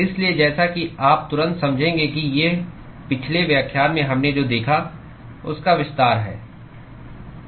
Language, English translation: Hindi, So, as you would immediately intuit that these are just extensions of what we saw in the last lecture